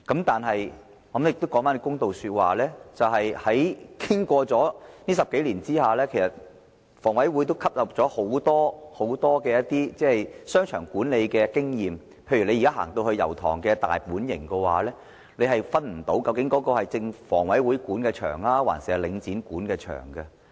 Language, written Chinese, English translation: Cantonese, 但是，我要說一句公道話，經過這10多年後，房委會吸納了很多商場管理經驗，例如大家現在去到油塘的"大本型"，根本分辨不到它究竟是房委會還是領展管理的商場。, However to be fair over the past decade or so HA has acquired a lot of experience in the management of shopping arcades . For example if we now go to Domain in Yau Tong we will be unable to tell whether the shopping arcade is managed by HA or Link REIT